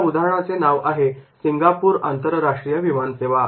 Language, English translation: Marathi, Now this question is not only for the Singapore International Airlines